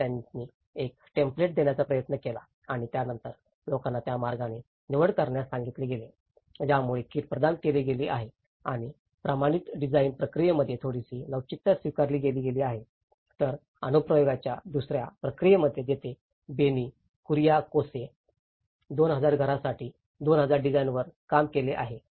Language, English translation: Marathi, So, they try to give a template over and then people were asked to choose within that so in that way, the kit is provided and there is a little flexibility adopted in the standardized design process whereas in the second process of application, where Benny Kuriakose have worked on 2,000 designs for 2,000 houses